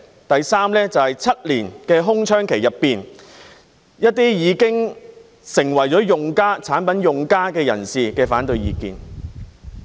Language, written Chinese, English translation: Cantonese, 第三，就是在7年的空窗期內，一些已經成為產品用家的人士的反對意見。, The third one was the opposing view of those who had become users of the products during the seven - year time lag